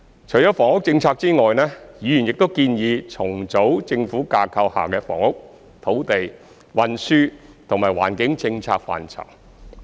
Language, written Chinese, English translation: Cantonese, 除房屋政策外，議員亦建議重組政府架構下的房屋、土地、運輸及環保政策範疇。, Apart from the housing policy Members have proposed to reorganize the government structure in respect of the policy areas of housing land transport and environmental protection